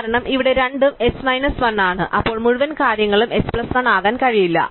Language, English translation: Malayalam, Because, we are both are h minus 1 then the whole thing cannot be h plus 1